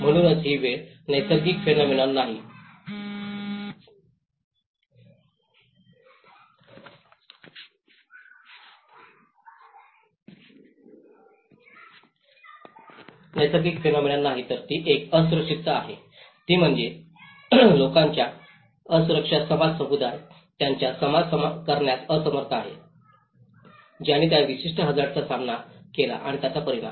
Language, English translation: Marathi, So, it is not just a natural phenomenon which is making an impact it is the vulnerability, which is the people’s vulnerability, the society, the community, who are unable to face, that who cope up with that particular hazard and its impact